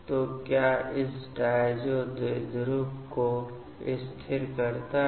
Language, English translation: Hindi, So, what stabilizes this diazo dipole